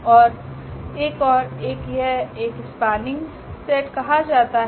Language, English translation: Hindi, And there is another one this is called a spanning set